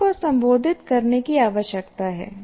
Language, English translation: Hindi, All the three need to be addressed at the same time